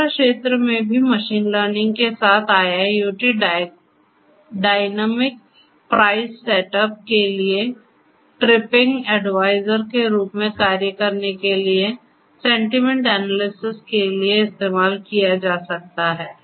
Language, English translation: Hindi, In the travel sector also IIoT with machine learning for dynamic price setup, for sentiment analysis to act as trip advisor IIoT with machine learning combined can be used